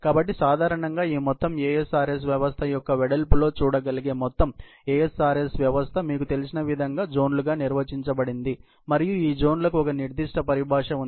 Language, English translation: Telugu, So, typically, the whole ASRS system as can be seen in the width of this whole ASRS system, is defined as various you know, zones and there is a certain terminology used for these zones